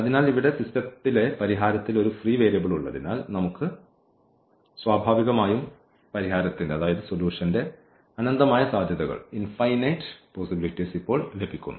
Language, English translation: Malayalam, So, this having a free variable in the solution in the system here we are naturally getting infinitely many possibilities of the solution now